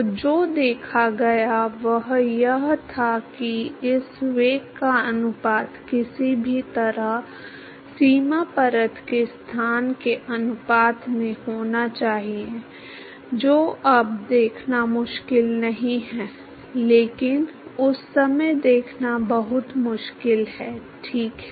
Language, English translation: Hindi, So, what was observed was that the ratio of this velocity somehow has to be proportionate with the location of the boundary layer, that is not hard to see now, but it is very hard to see at that time ok